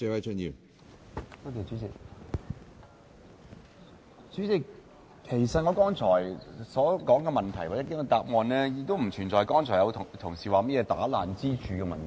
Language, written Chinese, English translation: Cantonese, 主席，其實我剛才所說的問題或局長的答案，並不存在剛才有同事所說破壞支柱的問題。, President in fact speaking of my proposal and the Secretarys reply I do not think that my fellow Member should blame my proposal for undermining any pillar of retirement protection